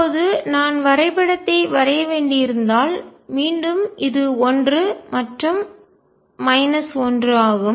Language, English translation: Tamil, Now, if I have to plot is again and this is 1 and minus 1